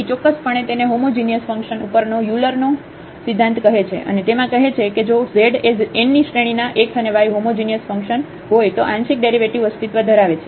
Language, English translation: Gujarati, So, precisely what it is called the Euler’s theorem on homogeneous function and it says if z is a homogeneous function of x and y of order n and these partial derivatives exist and so on